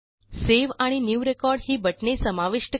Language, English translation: Marathi, Add Save and New record buttons